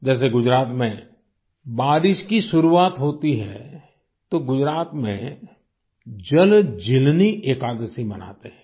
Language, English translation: Hindi, For example, when it starts raining in Gujarat, JalJeelani Ekadashi is celebrated there